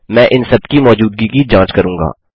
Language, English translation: Hindi, Ill be checking the existence of all these